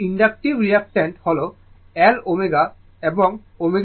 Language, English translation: Bengali, So, inductive reactant L omega and omega is equal to 2 pi f